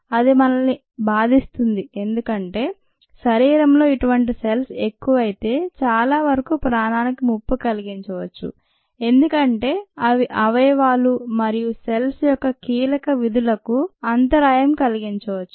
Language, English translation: Telugu, it bothers us because a lot of such cells in the body can threaten life itself as they interfere with the crucial functions of organs and tissues